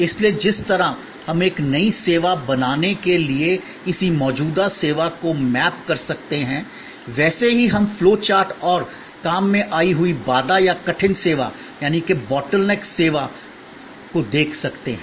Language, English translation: Hindi, So, just as we can map an existing service to create a new service, we can look at the flow chart and debottleneck service